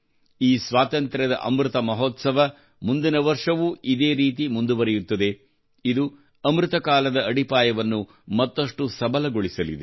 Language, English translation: Kannada, This Azadi Ka Amrit Mahotsav will continue in the same way next year as well it will further strengthen the foundation of Amrit Kaal